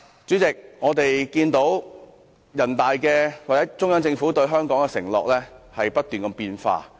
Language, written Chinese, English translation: Cantonese, 主席，我們看到中央政府對香港的承諾不斷變化。, President as we can see the promises made by the Central Government to Hong Kong have been changing